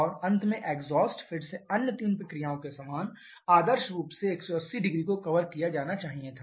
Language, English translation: Hindi, And finally exhaust, again similar to the other three processes ideally should have been at should have covered 1800